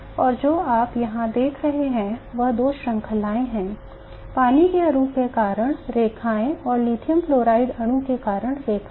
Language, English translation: Hindi, And what you see here is two series of lines, the lines due to water molecule and the lines due to lithium fluoride molecule